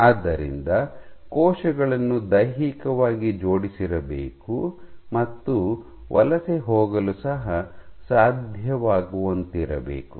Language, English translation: Kannada, So, the cells should be physically coupled and be able to migrate